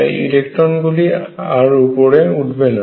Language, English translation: Bengali, This electron cannot move up cannot move up